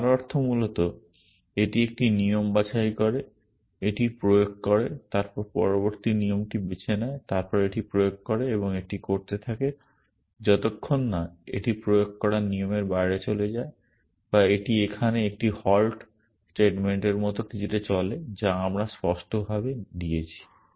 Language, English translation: Bengali, Which means basically it picks a rule, applies it then picks the next rule then applies it and keeps doing that till it either runs out of rules to apply or it runs into something like a halt statement here which we have explicitly given